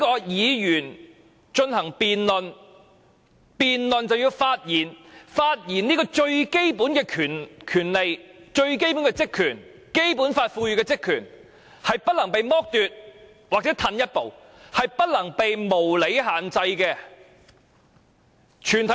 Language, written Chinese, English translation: Cantonese, 議員進行辯論便要發言，發言這種由《基本法》賦予的最基本權利、職權是不能被剝奪或退後一步，是不能被無理限制的。, Members need to speak to debate the question . This is the fundamental right power and function of Members conferred by the Basic Law which should not be deprived or reduced and it should not be subject to unreasonable restriction